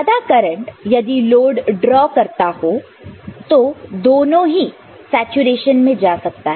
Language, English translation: Hindi, For a large amount of current, if it is drawn by the load both of them can go into saturation